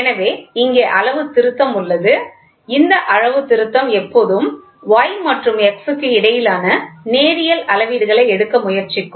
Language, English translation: Tamil, So, here is the calibration so, this calibration will always try to take measurements in the linear between y and x